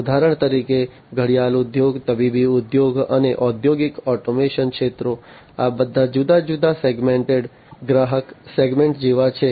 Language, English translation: Gujarati, For example, the watch industry, the medical industry, and the industrial automation sectors; these are all like different segmented customer segments